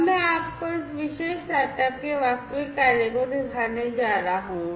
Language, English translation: Hindi, Now, I am going to show you the actual working of this particular setup